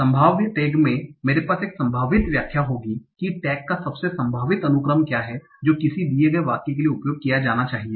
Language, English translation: Hindi, In probability tagging, I will have a probabilistic interpretation of what is the most likely sequence of tags that should be used for a given sentence